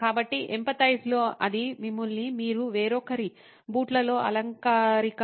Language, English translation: Telugu, So, in empathy it is about putting yourself in someone else’s shoes figuratively